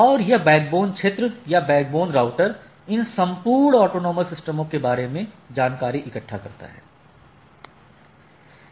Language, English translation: Hindi, And there are other areas, so that this backbone area or this backbone area router collects this information about these whole autonomous systems